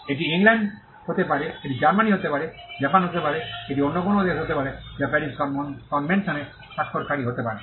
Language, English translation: Bengali, It could be England, it could be Germany, it could be Japan, it could be any other country which is a signatory to the Paris convention